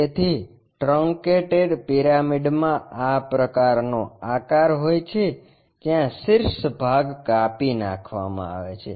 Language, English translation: Gujarati, So, truncated pyramids have such kind of shape where the top portion is removed